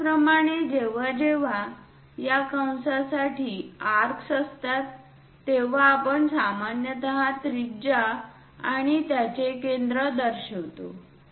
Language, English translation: Marathi, Similarly, whenever there are arcs for this arc we usually represent it by radius and center of that